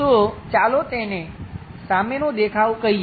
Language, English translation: Gujarati, So, let us call that one front view